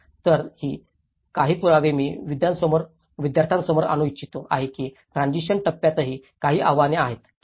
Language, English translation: Marathi, So, these are some of the evidences which I want to bring to the students notice that yes, there are some challenges in the transition phase as well, okay